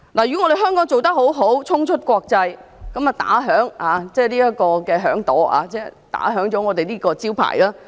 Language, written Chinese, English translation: Cantonese, 如果在香港做得好，便衝出國際，這可擦亮這個招牌。, If the company performs well in Hong Kong it may go global and that will help build a reputable global brand